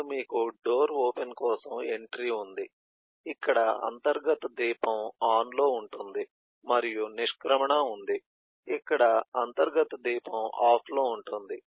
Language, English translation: Telugu, then you have the entry for door open, which is eh internal lamp being on, and the exit is internal lamp being off